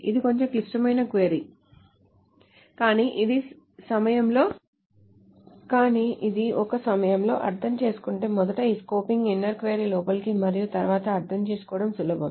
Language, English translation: Telugu, This is a little complicated query, but if this is being understood one at a time, first the inner query with this scoping to the outside and then it is easier to understand